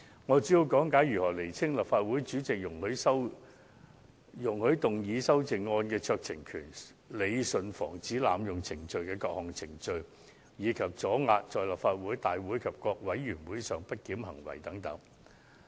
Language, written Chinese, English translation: Cantonese, 我主要講解一下清楚訂明立法會主席容許動議修正案的酌情權、理順防止濫用程序的各項程序，以及阻遏議員在立法會大會及各委員會上的不檢行為等。, My following speech mainly focuses on issues such as expressly stipulating the discretionary power exercised by the President of the Legislative Council in allowing Members to move amendments rationalizing the various procedures for the prevention of abuse of procedure and deterring Members from behaving disorderly during Council meetings and meetings of Panels and Committees